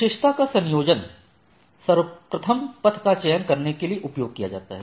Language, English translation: Hindi, The combination of attribute, are used to select the best path right